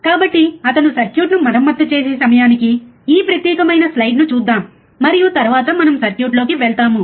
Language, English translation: Telugu, So, let us see this particular slide first, by the time he repairs the circuit and then we go on the circuit